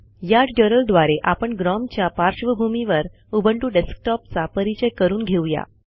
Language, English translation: Marathi, Using this tutorial, we will get familiar with the Ubuntu Desktop on the gnome environment